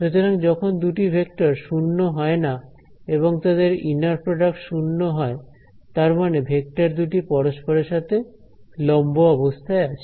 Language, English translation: Bengali, So, inner product 0 when the two vectors are non zero themselves means are the vectors are orthogonal to each other